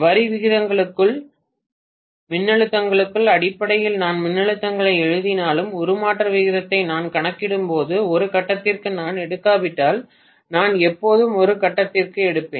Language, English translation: Tamil, Even though I write the voltages in terms of line voltages, when I calculate the transformation ratio I will always take per phase unless I take per phase